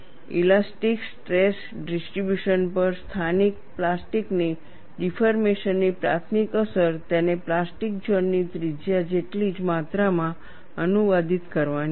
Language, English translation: Gujarati, The primary influence of localized plastic deformation on the elastic stress distribution is to translate it by an amount, equal to the plastic zone radius